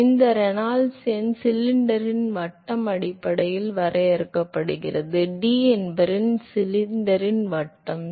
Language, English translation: Tamil, So, here the Reynolds number is defined based on the diameter of the cylinder, D is the diameter of the cylinder